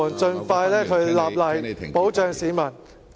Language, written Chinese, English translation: Cantonese, 盡快立例，保障市民。, enact legislation as soon as possible to protect the public